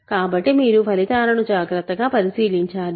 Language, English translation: Telugu, So, you have to keep track of the results carefully